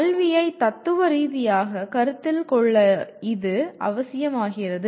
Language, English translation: Tamil, This becomes necessary to consider education philosophically